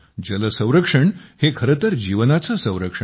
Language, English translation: Marathi, Water conservation is actually life conservation